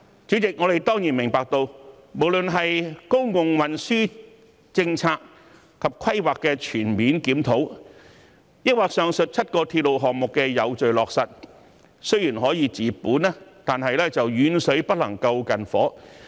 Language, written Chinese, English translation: Cantonese, 主席，我們當然明白，公共運輸政策及規劃的全面檢討，或上述7個鐵路項目的有序落實雖然可以治本，但遠水不能救近火。, It means making several achievements in one go . President we certainly understand that a comprehensive review of public transport policies and planning or orderly implementation of the seven railway projects mentioned above can cure the root cause but distant water cannot help close fires